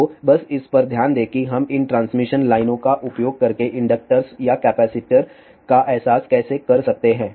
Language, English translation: Hindi, So, let just look into it how we can realize inductor or capacitor using these transmission lines